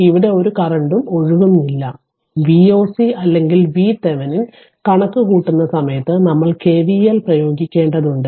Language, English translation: Malayalam, So, no current is flowing here; no current is flowing here, but at that time of computation of V oc or V Thevenin we have to we have to apply k V l